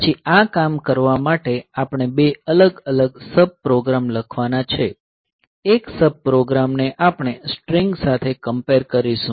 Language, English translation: Gujarati, Then we have to write two separate sub programs for doing this thing; one sub program we will do string comparison